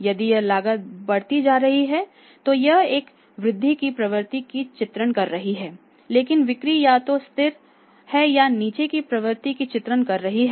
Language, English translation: Hindi, If this cost is going up and this is raising trend but the sales are is a depicting rolling down trend